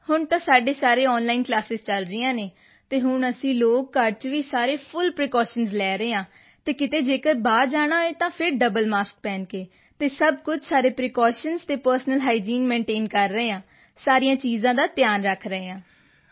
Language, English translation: Punjabi, Yes, right now all our classes are going on online and right now we are taking full precautions at home… and if one has to go out, then you must wear a double mask and everything else…we are maintaining all precautions and personal hygiene